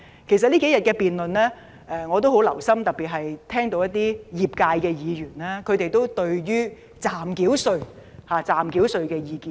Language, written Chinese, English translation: Cantonese, 我曾留心聆聽這數天的辯論，我特別聽到有代表不同業界的議員對於暫繳稅的意見。, I have listened attentively to the debate over these few days . In particular I have heard the views on provisional tax put forth by Members representing different industries